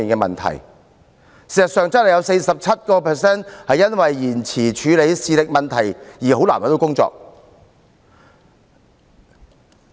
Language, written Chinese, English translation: Cantonese, 事實上，很多綜援受助人正是因為延遲處理視力問題而難以找到工作。, As a matter of fact many CSSA recipients can hardly find a job precisely because of the delay in addressing their visual problems